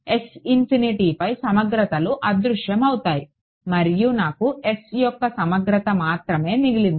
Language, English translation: Telugu, Integrals over S infinity vanish and I was left with the integral over S right